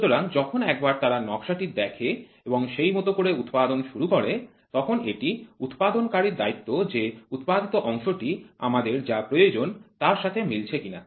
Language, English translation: Bengali, So, now once they see a drawing and once they start producing then it is a responsibility of the manufacturer to validate his produced part whether it meets to the requirement or not